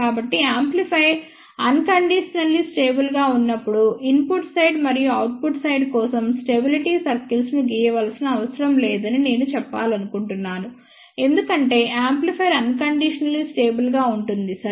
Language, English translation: Telugu, So, I just want to mention that when the amplifier is unconditionally stable, there is no need for drawing the stability circle for input side and output side because amplifier is unconditionally stable, ok